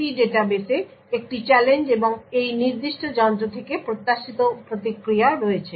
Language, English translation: Bengali, So the CRP database contains a challenge and the expected response from this particular device